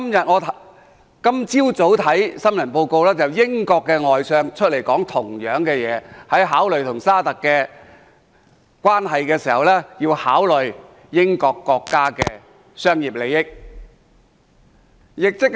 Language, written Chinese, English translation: Cantonese, 我今早看新聞報道，英國外相亦出來說相同的話，即在考慮與沙特阿拉伯的關係的同時，要考慮英國國家的商業利益。, In the news report this morning the Foreign Secretary of the United Kingdom also said the same thing that is while considering the relationship with Saudi Arabia he also has to consider the commercial interests of the United Kingdom